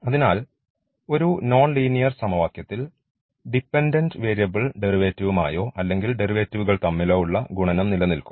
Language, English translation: Malayalam, So, in the non linear one the product of the derivative or the dependent variable with the derivative we will exist